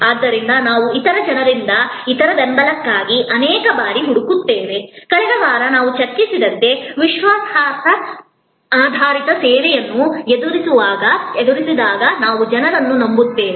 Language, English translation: Kannada, So, many times we actually look for other support from other people, people we trust particularly when we face a credence oriented service which we discussed in last week